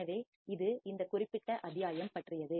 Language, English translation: Tamil, So, this is all about this particular module